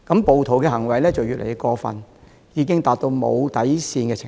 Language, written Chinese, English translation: Cantonese, 暴徒的行為越來越過分，已到無底線的程度。, The behaviour of the rioters is getting increasingly appalling reaching the point of being unprincipled